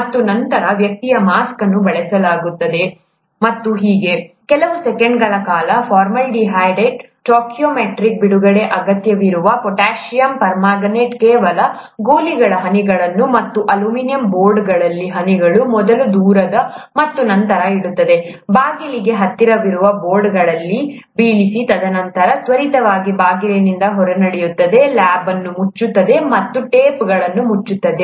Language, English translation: Kannada, And then, the person uses a mask and so on, just for those few seconds, drops a few pellets of potassium permanganate, that are carefully weighed out for, required for the stoichiometric release of formaldehyde and so on, drops in the aluminum boards, farthest first, and then keeps dropping in the boards that are closer to the door, and then quickly walks out the door, shuts the lab, and tapes the door shut